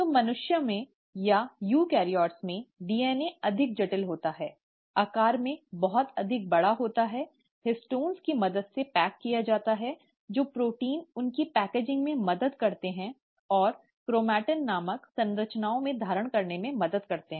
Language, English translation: Hindi, So in humans or in eukaryotes, the DNA being more complex, much more bigger in size is packaged through the help of histones, the proteins which help in their packaging and help them in holding in structures called as chromatin